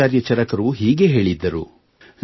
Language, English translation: Kannada, Acharya Charak had said…